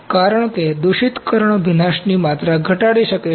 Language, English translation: Gujarati, Since contaminations can reduce the wetting degree